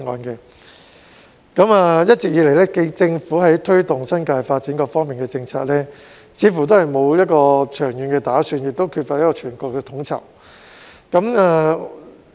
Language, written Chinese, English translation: Cantonese, 一直以來，政府在推動新界發展的各方面政策，似乎都沒有長遠的打算，亦缺乏全盤的統籌。, All along it looks like the Government lacks any long - term planning and holistic coordination for the various policies on promoting the multifaceted development of the New Territories